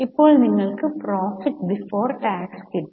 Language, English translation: Malayalam, Now at this stage you get profit after tax